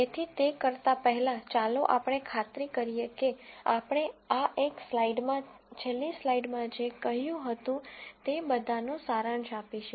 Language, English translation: Gujarati, So, before we do that let us make sure, that we summarize all that we said in the last slide in, in this one slide